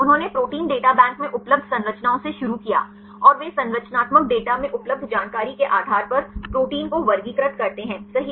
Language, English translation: Hindi, They started from the structures available in Protein Data Bank, and they classify the proteins right based on the information available in the structural data